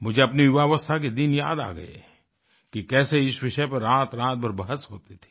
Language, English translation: Hindi, I was reminded of my younger days… how debates on this subject would carry on through entire nights